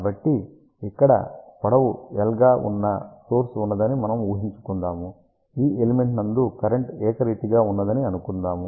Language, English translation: Telugu, So, here we are assuming that there is a element of length L, current is uniform along this particular element